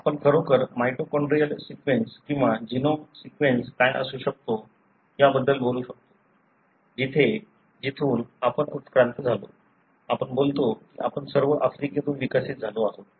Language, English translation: Marathi, So, we can really talk about what could be the mitochondrial sequence or the genome sequence, where, from where we evolved; we talk about we all evolved from Africa